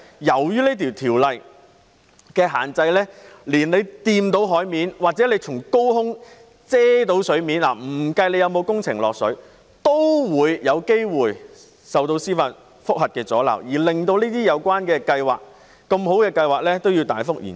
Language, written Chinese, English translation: Cantonese, 由於受條例限制，只要觸及海面，又或從高空遮蓋到海港，即使工程不影響海港，都有機會遭受司法覆核的阻撓，以致這些好計劃大幅延遲。, Subject to the regulation of the Ordinance any project which intrudes into the harbour or blocks the view of the harbour may be liable to be challenged by judicial review though the project itself does not have any effect on the harbour thus causing significant delays to these good projects